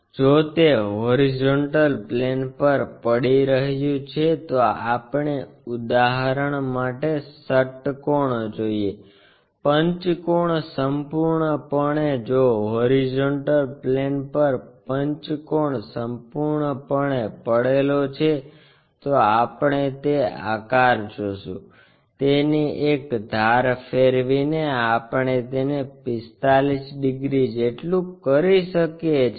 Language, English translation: Gujarati, If it is resting on the horizontal plane we see the hexagon completely for example,ah pentagon completely if the pentagon is completely resting on the horizontal plane we see that entire shape, by rotating it suitably one of the edge we can make it like 45 degrees or 30 degrees, 60 degrees and so on